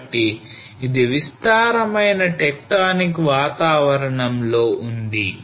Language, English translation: Telugu, So this is in the extensional tectonic environment